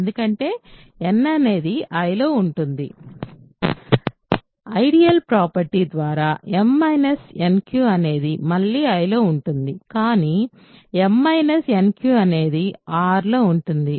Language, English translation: Telugu, Because, n is in I by ideal property nq is in I, m is in I by ideal property again m minus nq is in I, but the m minus nq is in r is equal to r so; that means, r is in I